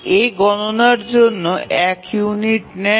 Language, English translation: Bengali, So, A takes one unit of computation